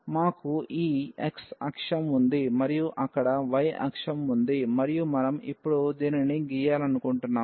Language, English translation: Telugu, We have this x axis and we have the y axis there and we want to now draw this